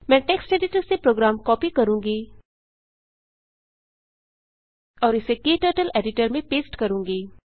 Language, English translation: Hindi, I will copy the program from text editor and paste it into Kturtles Editor